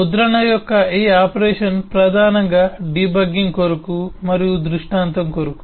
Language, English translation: Telugu, this operation of print is primarily for the purpose of debugging and for the purpose of illustration